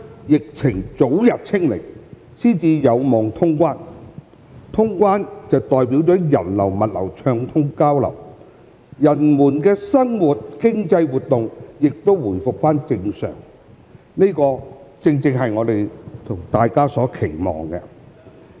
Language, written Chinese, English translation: Cantonese, 疫情早日"清零"才有望通關，能通關代表人流、物流暢通交流，人們的生活和經濟活動亦回復正常，這正正是我們和大家所期望的。, Cross - boundary travel can only be resumed when zero infection is achieved and the resumption of cross - boundary travel means that peoples life and economic activities will resume normal with the smooth flow of people and goods . This is precisely what we and members of the public have hoped for